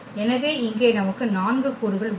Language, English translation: Tamil, So, here we have 4 elements